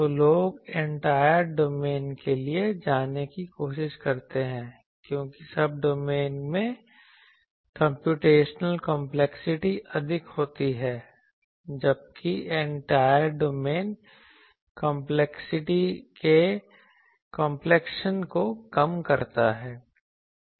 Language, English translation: Hindi, Then people try to go for Entire domain because in a Subdomain the computational complexity is more whereas, Entire domain reduces the complexion of complexity